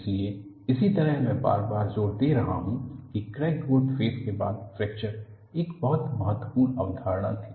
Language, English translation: Hindi, So, similarly I am emphasizing again and again, there is a growth phase of crack followed by fracture was a very important concept